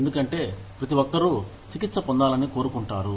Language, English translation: Telugu, Because, everybody wants to be treated, well